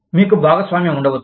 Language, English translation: Telugu, You could have partnerships